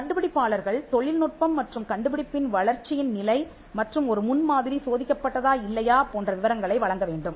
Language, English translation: Tamil, Their inventors are required to provide details such as, stage of development of the technology and invention and whether or not a prototype has been tested